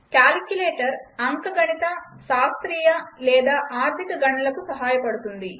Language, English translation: Telugu, Calculator helps perform arithmetic, scientific or financial calculations